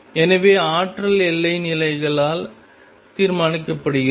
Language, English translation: Tamil, So, the energy is determined by boundary conditions